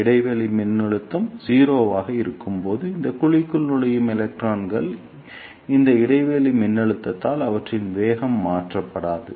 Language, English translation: Tamil, And the electrons which enter this cavity when the gap voltage is 0, their velocity will not be changed by this gap voltage